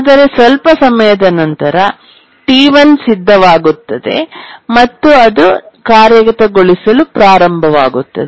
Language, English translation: Kannada, And after some time T4 becomes ready, it starts executing